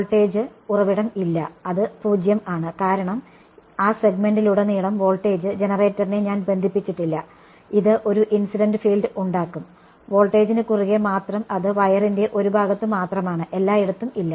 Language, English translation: Malayalam, There is no voltage source there is 0 right because, I did not connect the voltage generator across that segment it is going to be, it is going to generate this incident field only across the voltage is only across one part of the wire not everywhere else